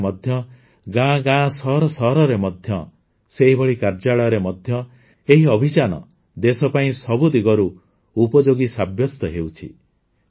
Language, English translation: Odia, In the society as well as in the villages, cities and even in the offices; even for the country, this campaign is proving useful in every way